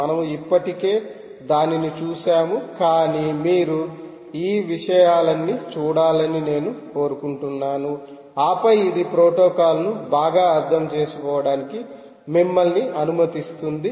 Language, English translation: Telugu, we have already seen this, but i want you to look up all these things, and then that will allow you to understand the protocol very well